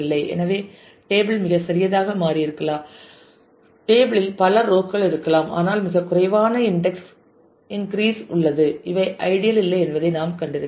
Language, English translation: Tamil, So, table might have become too small there will be many rows in the table, but very few index increase right we have seen these are not the ideal